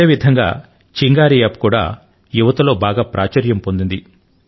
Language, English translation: Telugu, Similarly,Chingari App too is getting popular among the youth